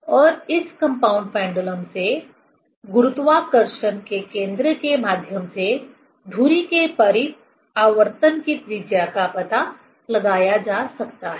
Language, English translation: Hindi, And, also from this, from compound pendulum, one can find out the radius of gyration, radius of gyration about the axis through the center of gravity